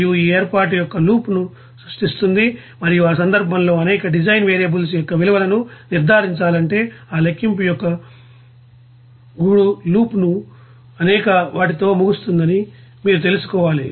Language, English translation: Telugu, And this arrangement of course will be creating a loop and, in that case, if the values of many design variables are to be determined, you have to you know end up with several you know nested loops of that calculation